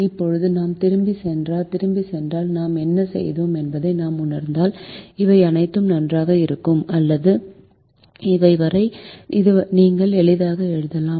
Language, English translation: Tamil, now, if we go back and if we realize what we have done, up to all, this is fine, are up to all, this is you can write easily